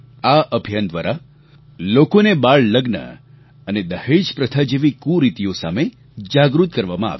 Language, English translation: Gujarati, This campaign made people aware of social maladies such as childmarriage and the dowry system